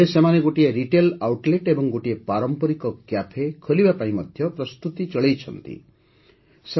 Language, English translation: Odia, These people are now also preparing to open a retail outlet and a traditional cafe